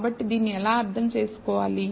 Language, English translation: Telugu, So, how to interpret this